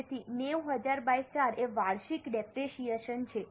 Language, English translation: Gujarati, So, 90,000 upon 4 is a depreciation per annum